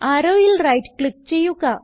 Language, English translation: Malayalam, Right click on the arrow